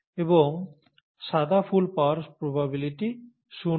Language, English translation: Bengali, And the probability of getting white flowers is zero